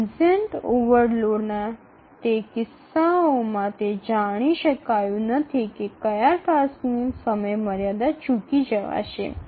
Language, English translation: Gujarati, In those cases of transient overload, it is not known which task will miss the deadline